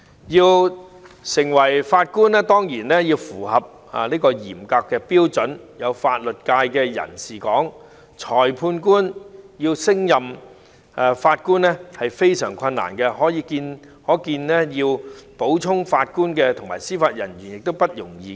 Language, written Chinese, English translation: Cantonese, 要成為法官當然要符合嚴格的標準，有法律界的人士指裁判官要升任法官是非常困難的，可見要補充法官和司法人員殊不容易。, In order to become a judge there is no doubt that stringent requirements must be met . As pointed by someone from the legal profession it is very difficult for a magistrate to be promoted as a judge . From this we can see that it is in no way easy to make up for the loss of JJOs